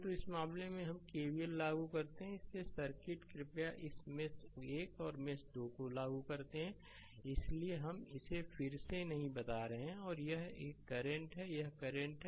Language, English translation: Hindi, So, in this case we apply KVL so, this circuit please this mesh 1 and mesh 2 we apply KVL so, not telling it again and again it is understandable to you and this current is i 0